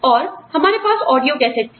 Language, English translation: Hindi, And, we had audio cassettes